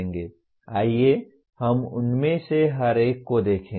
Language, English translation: Hindi, Let us look at each one of them